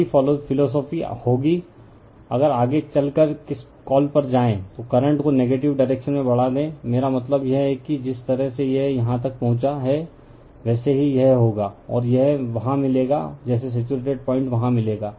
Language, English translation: Hindi, Same philosophy will happen, if you further go on your what you call that your increase the current in the negative direction I mean this thing, the way it has reached here same way it will the right, and it will get as get a point there like your saturated point you will get there